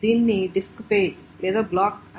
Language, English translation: Telugu, This is called a disk page or a block